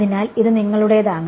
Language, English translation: Malayalam, So, this is your